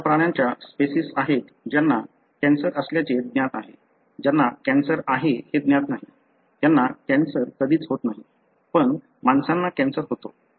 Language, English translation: Marathi, There are species of animal that are known to have cancer, that are not known to have cancer; they never get cancer, but humans we get cancer